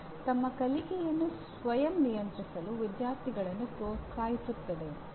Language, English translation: Kannada, Encourages students to self regulate their learning